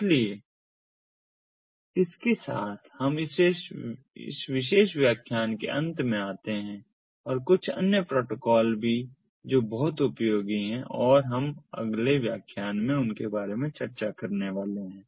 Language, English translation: Hindi, so with this we come to an end of this particular ah lecture and there are few other protocols that are also very much useful ah and we are going to go through them in the next lectures